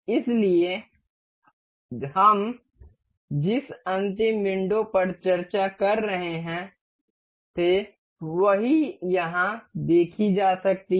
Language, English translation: Hindi, So, the same last window that we are we were discussing can can be seen here